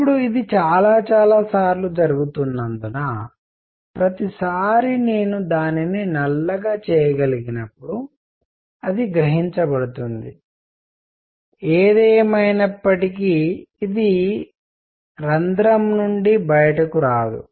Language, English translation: Telugu, Now, since it is going around many many times, every time I can even make it black inside, it gets absorbed; however, it does not come out of the hole